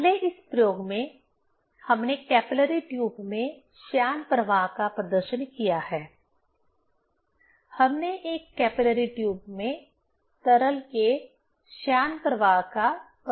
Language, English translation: Hindi, Next another experiment we have demonstrated the viscous flow in a capillary tube; we have demonstrated viscous flow of liquid in a capillary tube